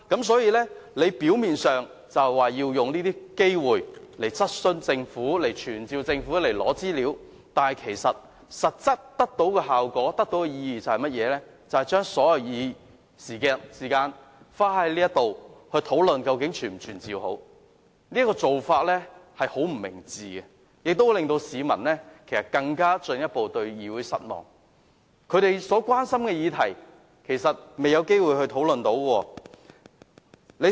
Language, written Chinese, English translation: Cantonese, 所以，表面上，他是說要藉機質詢政府，傳召官員提交資料，但其實際效果和意義就是把所有議事時間花在討論應否傳召官員，這個做法相當不明智，亦會令市民對議會更感失望，對於市民關心的議題，我們沒有機會進行討論。, Hence on the surface as he said he has taken this opportunity to question the Government and summon officials to provide information but the actual effect and consequence are to use up all the time for business deliberation to discuss whether officials should be summoned . This is a most unwise practice that will make the public feel more disappointed with the Council . As for the issues of public concern we do not have an opportunity to discuss them